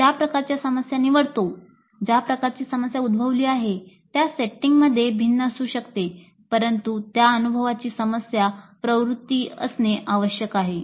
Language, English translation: Marathi, Because the kind of problems that we choose, the kind of setting in which the problem is posed could differ but the experience must have a problem orientation